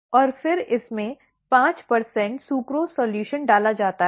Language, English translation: Hindi, And, then a 5 percent sucrose solution is added to it